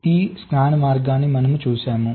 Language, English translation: Telugu, i am looking at the scan mode